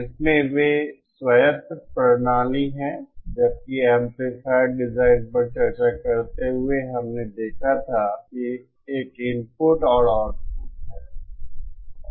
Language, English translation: Hindi, In that they are autonomous systems, whereas the amplifiers while discussing amplifier design, we had seen there is an input and output